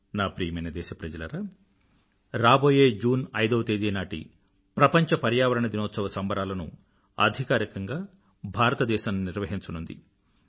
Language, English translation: Telugu, My dear countrymen, on the 5th of June, our nation, India will officially host the World Environment Day Celebrations